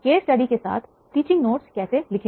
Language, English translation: Hindi, How to write the teaching notes along with the case study